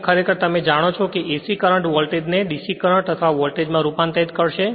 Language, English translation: Gujarati, Here actually you know it will be your convert AC, AC current voltage to DC current or voltage this right